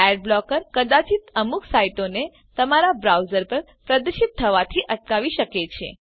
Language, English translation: Gujarati, * Adblocker may prevent some sites from being displayed on your browser